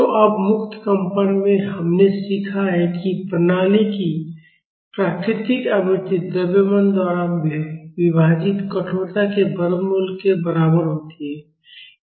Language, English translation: Hindi, So, now, in free vibrations we have learned that, the natural frequency of the system is equal to square root of stiffness divided by mass